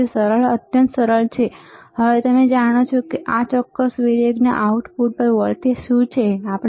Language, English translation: Gujarati, So, easy extremely easy, now you know what is the voltage at the output of this particular variac, correct